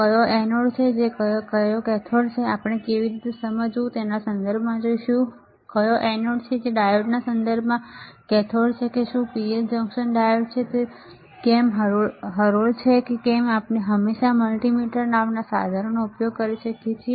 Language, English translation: Gujarati, Which is anode which is cathode we will see in terms of how to understand, which is anode which is cathode in terms of a diode whether is PN junction diode whether is led we can always use a equipment called multimeter